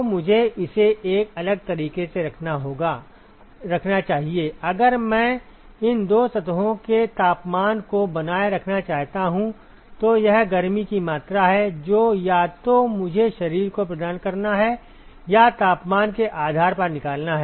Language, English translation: Hindi, So, let me put it in a different way supposing, if I want to maintain the temperatures of these two surface this is the amount of heat that either I have to provide to a body or remove depending upon the temperatures